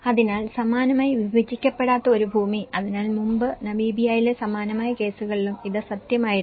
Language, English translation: Malayalam, So, similarly, an unsubdivided land, so earlier, it was true in similar cases of Namibia as well